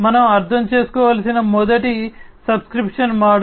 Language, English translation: Telugu, The first one that we should understand is the subscription model